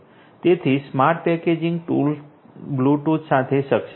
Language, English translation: Gujarati, So, smart packaging is enabled with Bluetooth